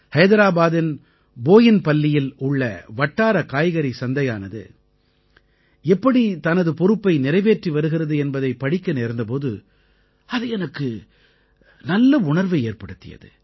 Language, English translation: Tamil, I felt very happy on reading about how a local vegetable market in Boinpalli of Hyderabad is fulfilling its responsibility